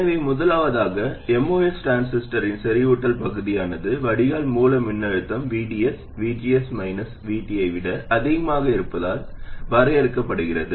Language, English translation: Tamil, So first of all, saturation region of a MOS transistor is defined by the drain source voltage VDS being greater than VGS minus VT